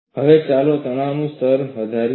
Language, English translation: Gujarati, Now, let us increase the stress level